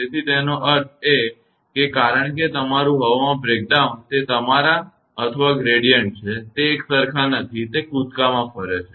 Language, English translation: Gujarati, So; that means, because that your air breakdown that is your or gradient; it is not uniform, it moves in a jump